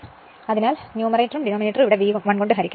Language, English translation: Malayalam, So, divide numerator and denominator by V 1 here